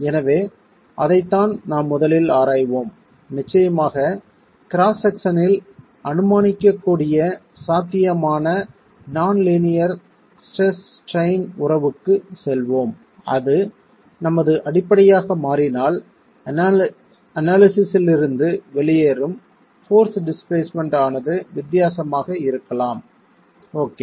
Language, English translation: Tamil, So, that's the first thing that we will examine and of course move on to a possible nonlinear stress strain relationship that can be assumed in the cross section and if that becomes our basis, the force displacement coming out of the analysis can be different